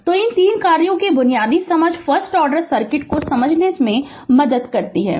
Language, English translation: Hindi, So, basic understanding of these 3 functions helps to make sense of the first order circuit right